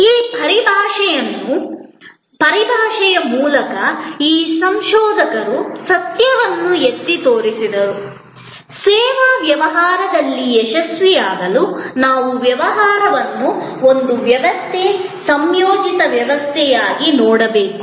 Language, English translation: Kannada, These researchers through this terminology highlighted the fact; that in service business to succeed, we must look at the business as a system, integrated system